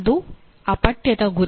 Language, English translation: Kannada, That is the goal of this